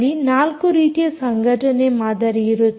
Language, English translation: Kannada, so there are four association models